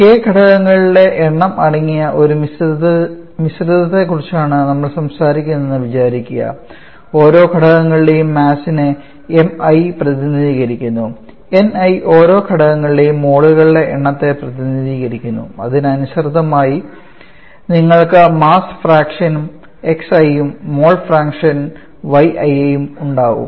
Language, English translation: Malayalam, Let us say we talk about a mixture comprising of k number of components and mi represents the mass of each of the components ni represent the number of moles for each of the components corresponding you will have the mass fraction of xi and mole function of yi